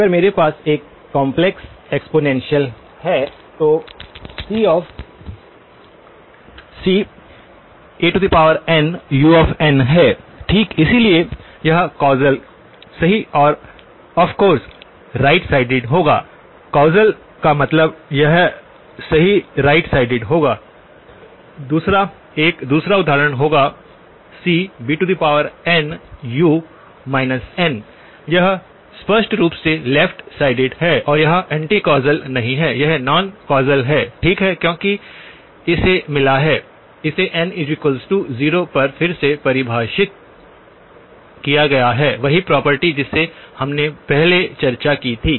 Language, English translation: Hindi, If I have a complex exponential, c a power n u of n okay, so this would be causal yes and right sided of course, causal means it would be right sided, the other one would be a second example would be c times b power n u of minus n, this is left sided clearly and it is not anti causal, it is non causal, okay because it has got, it is defined at n equal to 0 again, the same property that we discussed earlier